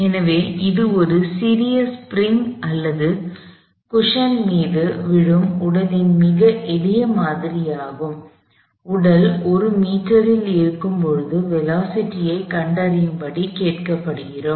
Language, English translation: Tamil, So, this is the very simple model of it body falling on a little spring or a cushion, we are asked to find the velocity, when the body is at 1 meters